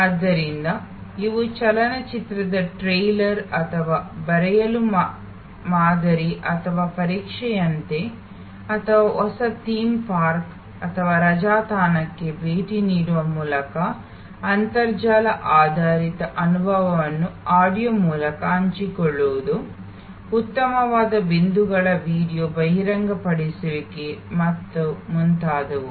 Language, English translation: Kannada, So, it is like a trailer of a movie or a sample or test to write or a visit to a new theme park or holiday destination through internet based sharing of experiences through audio, video discloser of finer points and so on